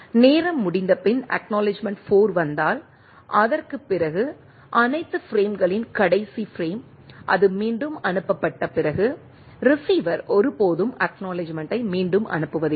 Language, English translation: Tamil, If ACK 4 arrives after the time out, the last frame of all the frames after that are resent right, receiver never resends an acknowledgement